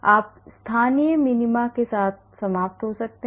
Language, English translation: Hindi, you may end up with the local minima